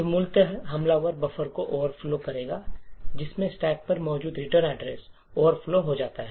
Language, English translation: Hindi, So, essentially what the attacker would do was overflow the buffer so that the return address which is present on the stack is over written